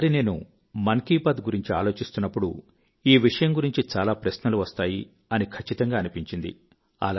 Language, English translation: Telugu, This time when I was thinking about 'Mann ki Baat', I was sure that a lot of questions would crop up about this subject and that's what exactly happened